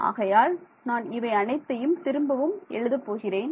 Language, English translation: Tamil, So, this should be I will rewrite this whole thing